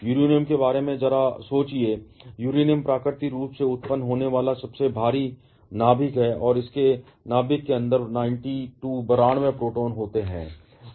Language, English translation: Hindi, Just think about Uranium, Uranium is the heaviest naturally occurring nucleus and it has 92 protons inside its nucleus